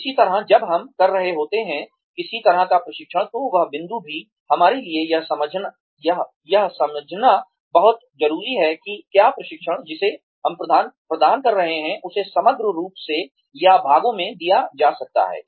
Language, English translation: Hindi, Similarly, when we are doing, some kind of a training, that point also, it is very important for us to understand, whether the training, that we are imparting, can be given as a whole, or in parts